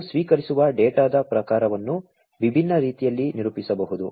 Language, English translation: Kannada, The type of data, that we receive can be characterized in different ways